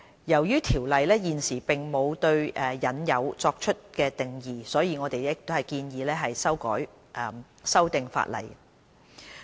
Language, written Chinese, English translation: Cantonese, 由於《條例》現時並無對"引誘"作出定義，所以我們建議修訂法例。, Currently the term inducement is not specifically defined under the Ordinance necessitating us to propose a legislative amendment